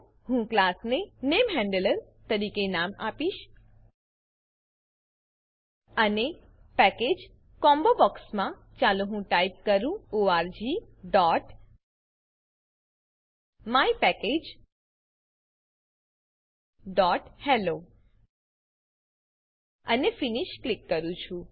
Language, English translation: Gujarati, I will name the class as NameHandler and in the Package combobox let me type org.mypackage.hello And Click Finish